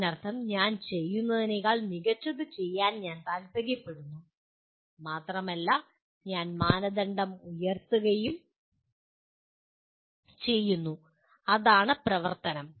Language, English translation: Malayalam, That means I want to do better than what I have been doing and I raise the bar okay that is what action is